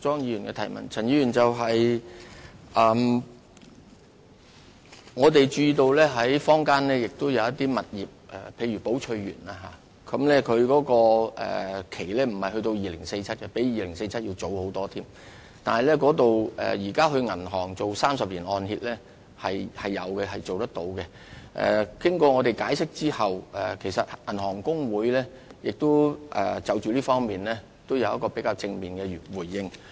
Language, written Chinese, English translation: Cantonese, 我們注意到坊間有些物業，例如寶翠園，其土地契約並不是在2047年期滿，而是比2047年還要早很多年，現時在銀行是能夠做到30年按揭，而經我們解釋後，其實香港銀行公會亦已就這方面作出較正面的回應。, We notice that for some properties such as The Belchers whose leases will not expire in 2047 but much earlier than that the banks may still approve loans on a 30 - year mortgage at present . Besides after our explanation the Hong Kong Association of Banks has also made positive response in this respect